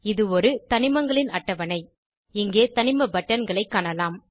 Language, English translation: Tamil, This is a Periodic table of elements, here you can see element buttons